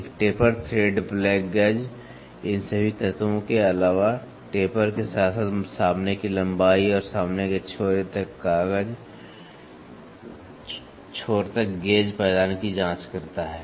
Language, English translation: Hindi, A taper thread plug gauge checks, in addition to all these elements, taper also as well as the length of the front and to the front end to the gauge notch